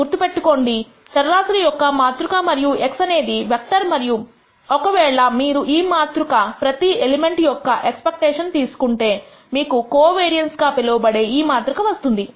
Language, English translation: Telugu, Remember this is a matrix of variables because x is a vector and if you take the expectation of each of these elements of this matrix you will get this matrix called the variance covariance matrix